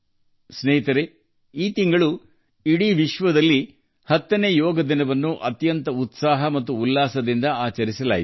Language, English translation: Kannada, Friends, this month the whole world celebrated the 10th Yoga Day with great enthusiasm and zeal